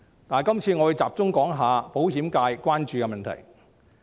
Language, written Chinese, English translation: Cantonese, 我會集中談談保險界關注的問題。, I would like to focus on the concerns of the insurance sector